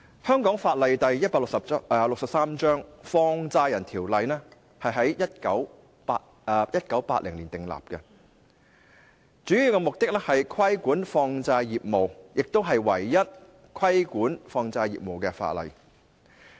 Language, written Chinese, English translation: Cantonese, 香港法例第163章《放債人條例》在1980年訂立，主要目的是規管放債業務，亦是唯一規管放債業務的法例。, 163 which was enacted in 1980 seeks mainly to regulate money lending business . It is also the only piece of legislation enacted for the regulation of such business